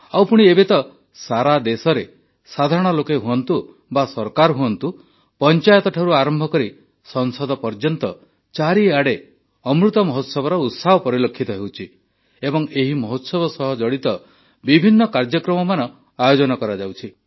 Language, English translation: Odia, And now, throughout the country, whether it's common folk or governments; from Panchayats to Parliament, the resonance of the Amrit Mahotsav is palpable…programmes in connection with the Mahotsav are going on successively